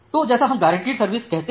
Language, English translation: Hindi, So, that we call as the guaranteed service